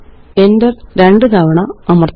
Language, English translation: Malayalam, Press enter twice